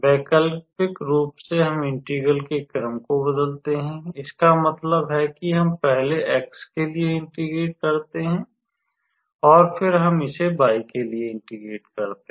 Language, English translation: Hindi, Alternatively, let us change the order of integration; that means, that is we integrate with respect to x first and then with respect to y